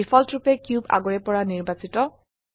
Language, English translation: Assamese, By default, the cube is already selected